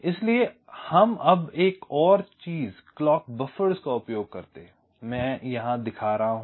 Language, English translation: Hindi, ok, so now another thing: we use the clock buffers here i am showing